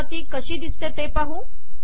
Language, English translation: Marathi, Let us see what this looks like